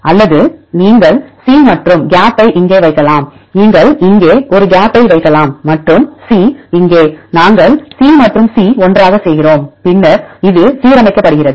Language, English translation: Tamil, Or you can put C and the gap here and you can put a gap here and C here, we do C and C together, then this is aligned